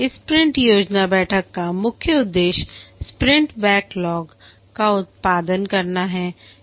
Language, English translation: Hindi, The main objective of this sprint planning meeting is to produce the sprint backlog